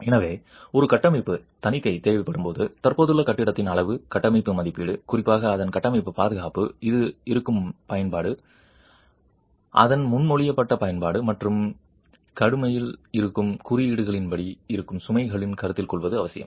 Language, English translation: Tamil, So, when a structural audit is required, it is essential that a quantitative structural assessment of the existing building, particularly its structural safety, considering the use to which it is being its proposed use and also the existing loads as per the codes that are in vigour